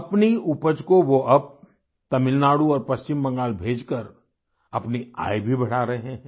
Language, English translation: Hindi, Now by sending his produce to Tamil Nadu and West Bengal he is raising his income also